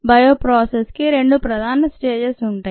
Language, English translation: Telugu, the bioprocess has two major aspects